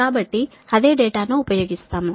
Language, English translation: Telugu, will use the same data